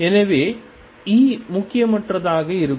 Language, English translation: Tamil, So, E is going to be insignificant